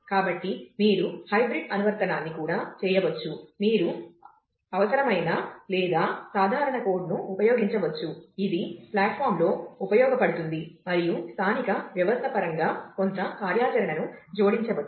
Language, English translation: Telugu, So, you could do a hybrid app also where, you could use redundant or common code, which is usable across platform and add some tailor functionality in terms of the native system